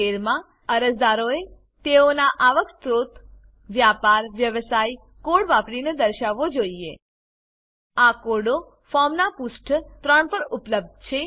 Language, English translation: Gujarati, In item 13, applicants must indicate their source of income using a business/profession code These codes are available on page 3 of the form